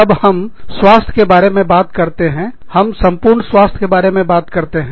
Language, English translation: Hindi, When we talk about health, we talk about, overall health